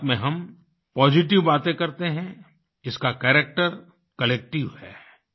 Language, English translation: Hindi, In Mann Ki Baat, we talk about positive things; its character is collective